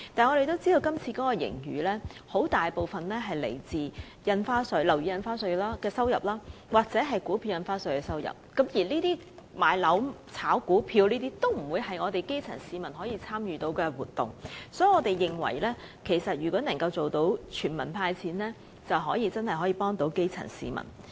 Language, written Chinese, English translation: Cantonese, 我們知道今次大部分盈餘均來自樓宇印花稅或股票印花稅的收入，但買樓和炒股票均非基層市民可以參與的活動，所以我們認為如果可以做到"全民派錢"，便可以真正幫助基層市民。, We knew that most of the surplus would come from revenue in the form of stamp duty on property and securities transactions . Since the purchase of properties and speculation on stocks were activities beyond the reach of the grass roots we believed a cash handout for all was a way in which assistance could truly be rendered to these people